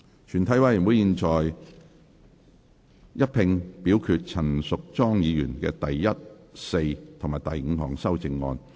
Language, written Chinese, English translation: Cantonese, 全體委員會現在一併表決陳淑莊議員的第一、四及五項修正案。, The committee now votes on Ms Tanya CHANs first fourth and fifth amendments together